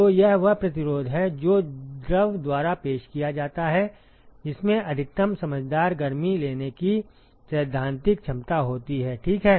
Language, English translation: Hindi, So, this is the resistance that is offered by the fluid which has the theoretical capability to take maximum sensible heat, ok